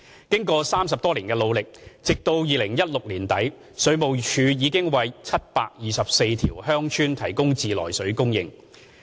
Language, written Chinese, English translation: Cantonese, 經過30多年的努力，直到2016年年底，水務署已為724條鄉村提供自來水供應。, After more than 30 years of hard work WSD has managed to provide treated water supply for a total of 724 villages by the end of 2016